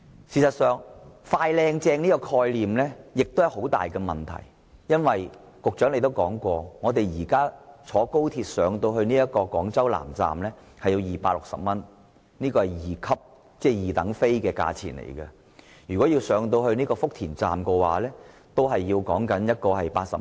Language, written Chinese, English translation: Cantonese, 事實上，"快、靚、正"的概念存在很大問題，因為局長曾經說過，現時乘坐高鐵到廣州南站的車費是260元，這是二等車票的價錢，而前往福田站則要80元。, As a matter of fact the concept of speedy quality and efficient services is riddled with problems . As provided by the Secretary the present fare of XRL to Guangzhou South Station is 260 for a second - class seat and the fare to Futian Station is 80